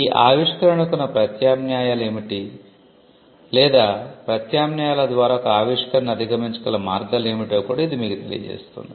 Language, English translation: Telugu, It can also tell you what are the alternates or or what are the possible ways in which a invention can be overcome through alternatives